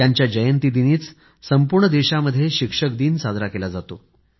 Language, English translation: Marathi, His birth anniversary is celebrated as Teacher' Day across the country